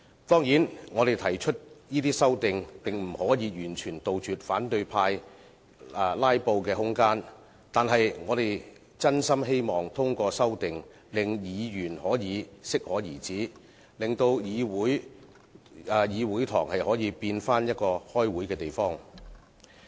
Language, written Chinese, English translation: Cantonese, 當然，我們提出的這些修訂並不能完全杜絕反對派的"拉布"空間，但我們真心希望通過修訂令議員可以適可而止，令議事堂變回開會的地方。, Certainly all these amendments proposed by us may not totally wipe out the room for filibustering of the opposition camp . However we truly hope the passage of these amendments will stop Members from going too far so that the Chamber can become a meeting place again